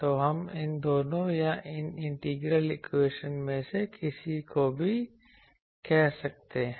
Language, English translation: Hindi, So, we can say both of these or any of this thing any of these integral equations